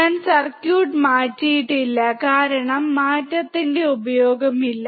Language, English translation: Malayalam, I have not changed the circuit because there is no use of changing